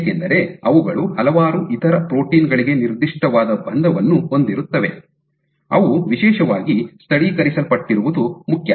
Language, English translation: Kannada, So, because they have specific binding to several other proteins it is important that they are specially local localized